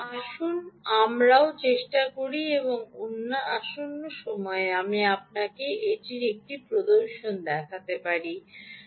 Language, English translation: Bengali, let us also try and see if i can show you a demonstration of that as well in the coming times